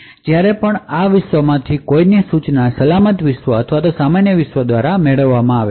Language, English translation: Gujarati, So, whenever there is an instruction from one of these worlds either the secure world or normal world